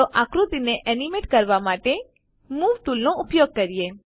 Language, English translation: Gujarati, Lets use the Move tool, to animate the figure